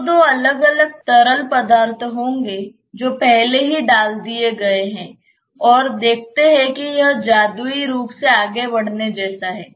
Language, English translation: Hindi, So, there will be two different fluids those liquids which have already been put and see that it is just like moving magically